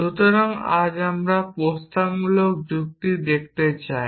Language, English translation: Bengali, So, today we want to look at propositional logic